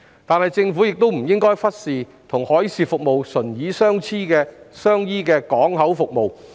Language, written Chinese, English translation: Cantonese, 然而，政府不應忽視與海事服務唇齒相依的港口服務。, Nevertheless the Government should not neglect the port services which are closely related to the maritime services